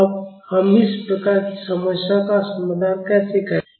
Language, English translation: Hindi, Now, how will we solved these types of problems